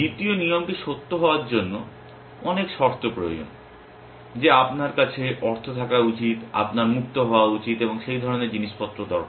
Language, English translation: Bengali, The second rule requires many conditions to be true that you should have money you should be free and that kind of stuff